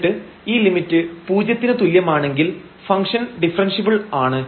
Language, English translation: Malayalam, If we do not get this limit as 0 then the function is not differentiable